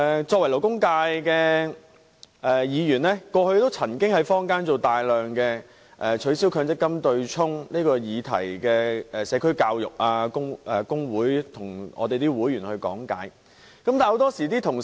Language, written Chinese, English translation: Cantonese, 作為勞工界的議員，我曾經在坊間進行大量關於"取消強積金對沖"的社區教育，並向工會的會員講解。, Being a Member representing the labour sector I have made a lot of efforts in promoting community education on the abolition of the Mandatory Provident Fund offsetting arrangement as well as giving explanations to members of labour unions